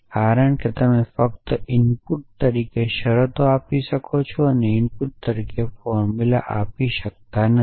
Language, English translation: Gujarati, Because you can only give terms as inputs and cannot gave formulas as the input that essentially